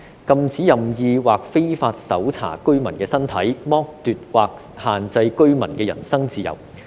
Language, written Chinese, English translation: Cantonese, 禁止任意或非法搜查居民的身體、剝奪或限制居民的人身自由。, Arbitrary or unlawful search of the body of any resident or deprivation or restriction of the freedom of the person shall be prohibited